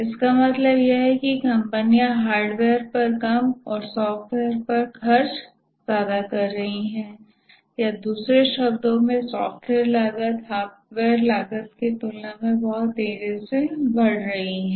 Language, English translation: Hindi, What it means is that companies are spending less on hardware and more on software or in other words, software costs are increasing very rapidly compared to hardware costs